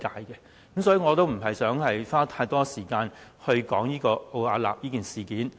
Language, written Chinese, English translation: Cantonese, 所以，我不想花太多時間說奧雅納方面的問題。, Hence I will not spend too much time discussing the issues pertaining to Arup